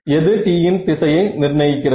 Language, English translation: Tamil, When will it what determines the direction of t